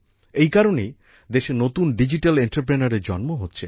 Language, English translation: Bengali, For this reason, new digital entrepreneurs are rising in the country